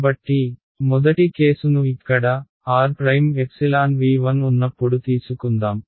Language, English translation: Telugu, So, let us take the first case over here, when r prime belongs to v 1